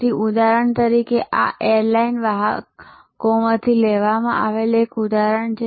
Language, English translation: Gujarati, So, for example, this is a example taken from airline carriers